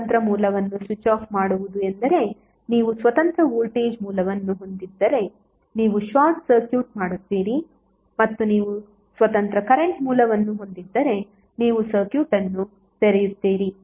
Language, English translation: Kannada, Switching off the independent source means, if you have independent voltage source you will short circuit and if you have an independent current source you will open circuit